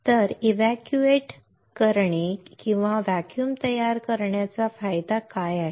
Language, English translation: Marathi, So, what is the advantage of evacuating or creating a vacuum